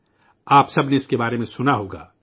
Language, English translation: Urdu, You all must have heard about it